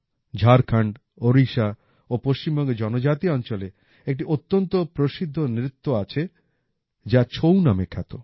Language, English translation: Bengali, There is a very famous dance in the tribal areas of Jharkhand, Odisha and Bengal which is called 'Chhau'